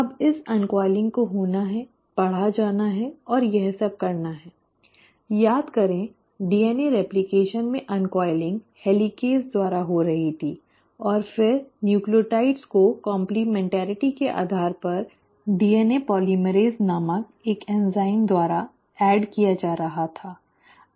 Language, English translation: Hindi, Now this uncoiling has to happen, the reading has to take place and all this; remember in DNA replication the uncoiling was happening by helicases and then the nucleotides were being added by an enzyme called as DNA polymerase based on complementarity